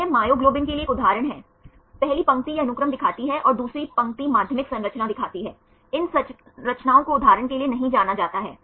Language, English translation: Hindi, This is one example for the myoglobin, first line it shows the sequence and second line shows the secondary structure, these structures are not known for example